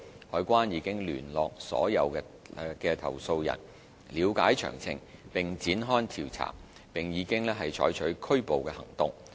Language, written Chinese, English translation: Cantonese, 海關已聯絡所有投訴人，了解詳情並展開調查，並已採取拘捕行動。, CED has contacted all complainants for case details and is currently conducting investigation . Arrests have been made accordingly